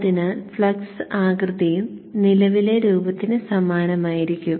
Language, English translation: Malayalam, So therefore the flux shape also will be similar to the flux, the current shape